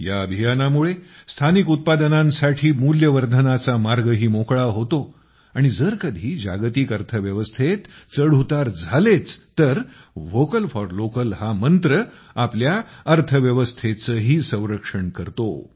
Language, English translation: Marathi, This also paves the way for Value Addition in local products, and if ever, there are ups and downs in the global economy, the mantra of Vocal For Local also protects our economy